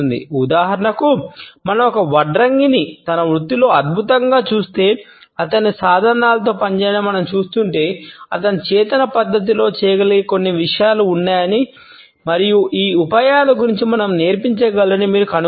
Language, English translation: Telugu, For example, if we look at a carpenter who is excellent in his profession and we watch him working with his tools, if you would find that there are certain things which he may do in a conscious manner and can teach us about these tricks